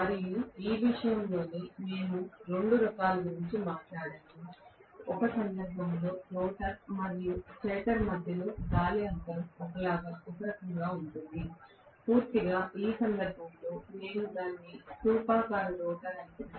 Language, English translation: Telugu, And in this itself, we talked about two types, in one case, the rotor and the stator in between whatever is the air gap that is going to be uniform, completely in which case we call it as cylindrical rotor